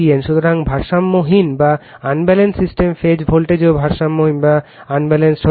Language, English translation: Bengali, So, unbalanced system phase voltage also may be unbalanced